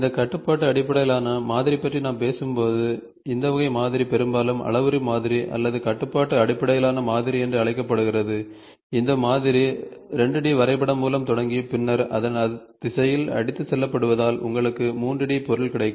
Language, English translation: Tamil, So, in this type of modeling often called as parametric modeling or constraint based modeling most of the time, the model starts with the 2 D sketch and then swept along the direction so that you get a 3 D object